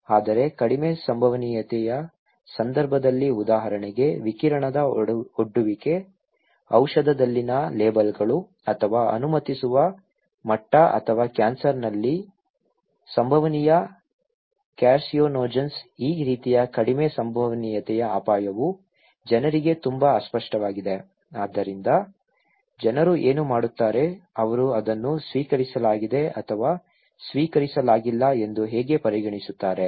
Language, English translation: Kannada, But in case of low probability okay, like radiation exposure, labels in medicine or permissible level or possible carcinogens in cancer, these kind of low probability event of risk is very unclear to the people so, what people will do the life, how they will consider it as an accepted or not accepted